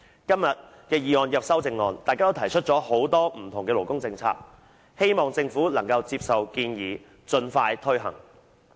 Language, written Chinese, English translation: Cantonese, 今天的議案及修正案提出很多不同的勞工政策，希望政府能夠接受建議，盡快推行。, This motion and the amendments today have put forward a diversity of labour policies and it is hoped that the Government can take on board these proposals and implement them expeditiously